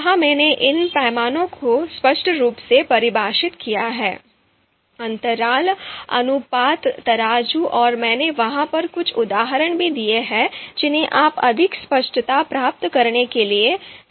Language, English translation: Hindi, There I have clearly defined and you know you know these scales ordinal, interval, ratio scales and I have also given certain examples over there which you can refer to get more clarity